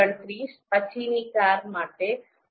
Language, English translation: Gujarati, 29 for this car, then 0